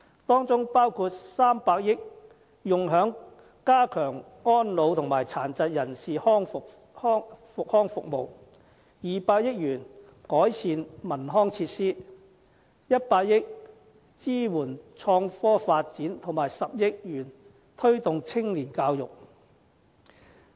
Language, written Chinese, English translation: Cantonese, 當中，包括300億元用於加強安老和殘疾人士康復服務、200億元改善文康設施、100億元支援創科發展，以及10億元推動青年教育。, Of the 61 billion he proposes to use 30 billion on strengthening elderly services and rehabilitation services for persons with disabilities 20 billion on improving community and sports facilities 10 billion on IT development and 1 billion on promoting youth education